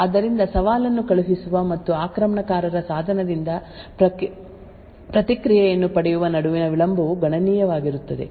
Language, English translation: Kannada, Therefore, the delay between the sending the challenge and obtaining the response from an attacker device would be considerable